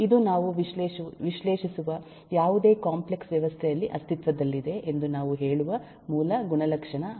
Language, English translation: Kannada, this is a basic property that eh, uh, we say will exist in any complex system that we analyze now